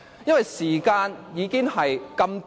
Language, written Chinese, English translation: Cantonese, 因為時間已經這麼短。, The speaking time is already so insufficient